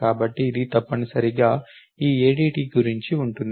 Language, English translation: Telugu, So, this is the essentially what this ADT is all about